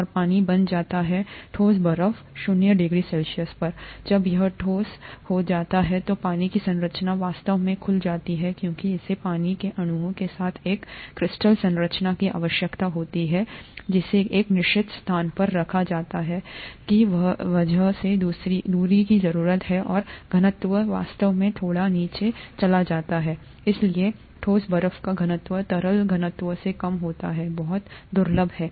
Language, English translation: Hindi, When it becomes a solid the structure of water actually opens up because it needs to have a crystal structure with the water molecules being kept at a certain distance because of the crystal needs, and the density actually goes down a little bit, and therefore the solid ice density is lower than the liquid density, is very rare